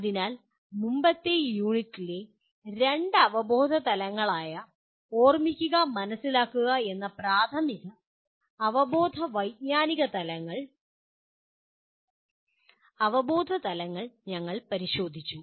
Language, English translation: Malayalam, So we looked at the two cognitive levels, elementary cognitive levels namely Remember and Understand in the earlier unit